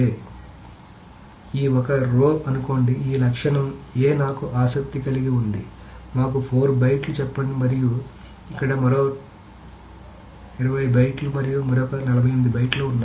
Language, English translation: Telugu, So suppose this one row, this is attribute A that I am interested in, this takes let us say 4 bytes and suppose there is another 20 bytes here and another some 48 bytes here